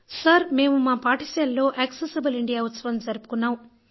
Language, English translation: Telugu, "Sir, we celebrated Accessible India Campaign in our school